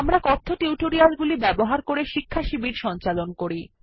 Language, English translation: Bengali, We conduct workshops using spoken tutorials